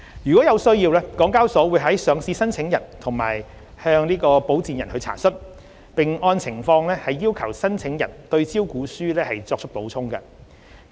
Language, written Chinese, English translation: Cantonese, 如有需要，港交所會向上市申請人及其保薦人查詢，並按情況要求申請人對招股書作出補充。, If necessary HKEX will enquire listing applicants and their sponsors and request the listing applicants to provide supplementary information on its prospectus as appropriate